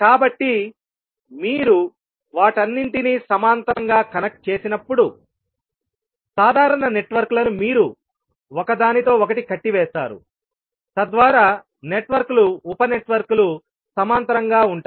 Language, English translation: Telugu, So when you connect all of them in parallel so the common networks you will tie them together so that the networks the sub networks will be in parallel